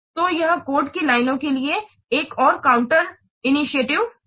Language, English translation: Hindi, So, this is another counterintuitive for line shape code